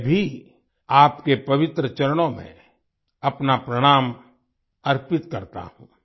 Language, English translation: Hindi, I also offer my salutations at your holy feet